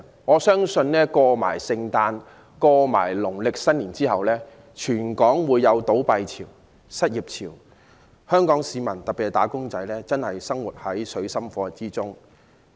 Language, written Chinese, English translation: Cantonese, 我相信聖誕節和農曆新年過後，全港會出現倒閉潮和失業潮，香港市民，特別是"打工仔"，將會生活在水深火熱之中。, After Christmas and the Lunar New Year I believe that there will be a surge in company closures and layoffs across Hong Kong . Hong Kong people wage earners in particular will find themselves in dire straits